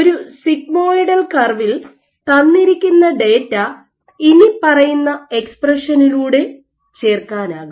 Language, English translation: Malayalam, So, for a sigmoidal curve what you can do, you can fit this data by the following expression